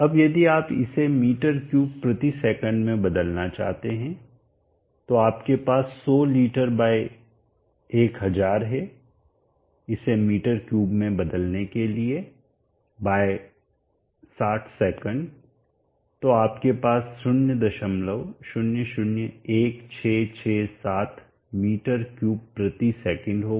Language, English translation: Hindi, Now if you want to convert it into m3/sec, so you have 100 leaders by 1000 to convert it into m3/ s so you have 100 liters by 1000 to convert it into m3 /60 s so in our 0